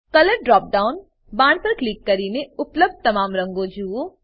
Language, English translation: Gujarati, Click on Color drop down arrow to view all the available colours